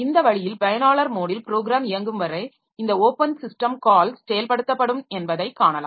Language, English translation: Tamil, So this way we can see that this there will be this open system call is implemented as long as the program is executing in the user mode